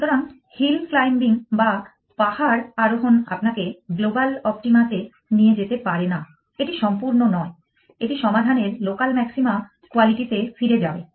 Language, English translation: Bengali, So, hill climbing cannot take you to the global optima it is not complete, it will get back of the local maxima quality of the solution